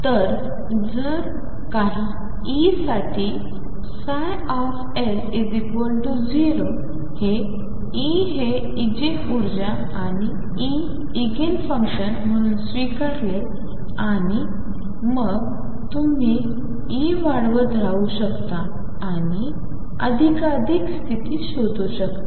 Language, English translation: Marathi, So, if psi L is equal to 0 for some E accept that E as the Eigen energy and the solution psi as Eigen function and then you can keep increasing E and find more and more and more states